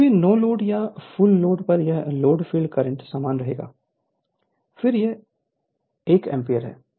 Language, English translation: Hindi, So, at no load or full or at this load field current will remain same, again it is 1 ampere